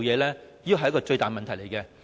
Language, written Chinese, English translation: Cantonese, 這是最大的問題。, That is the biggest question